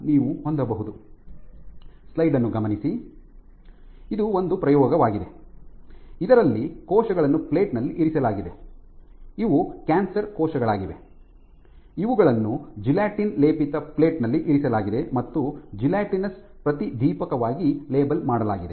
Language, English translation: Kannada, So, this is an experiment, in which cells have been plated, these are cancer cells, which have been plated on gelatin coated dishes